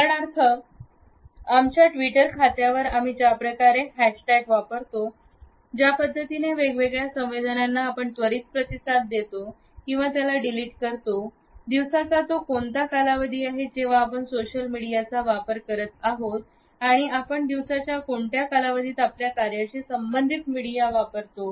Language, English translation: Marathi, For example, the way we use hash tags on our Twitter account, the response which we send to different messages is delete or is it immediate, what is the time of the day during which we are using the social media and what is the time of the day in which we are using the media for our work related issues